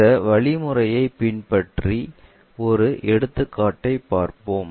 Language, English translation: Tamil, Let us take an example, look at these steps